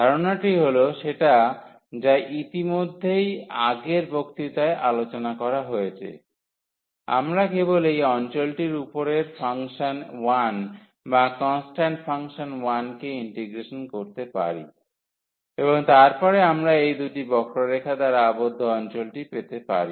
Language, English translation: Bengali, And, the idea was which has already been discussed in the previous lecture, that we can simply integrate the function 1 or the constant function 1 over this region and then we can get the area of the region bounded by these two curves